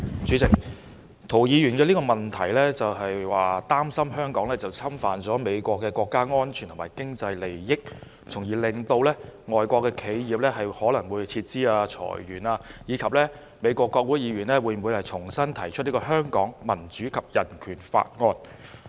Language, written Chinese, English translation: Cantonese, 主席，涂議員的質詢是擔心香港侵犯了美國的國家安全及經濟利益，從而令到外國企業可能會撤資、裁員，以及美國國會議員會否重新提出《香港民主及人權法案》。, President Mr TOs question expressed concerns about the possibility of divestments and layoffs by foreign enterprises as a result of Hong Kong jeopardizing the national security and economic interests of US as well as the spectre of US Congressmen re - introducing the Hong Kong Human Rights and Democracy Act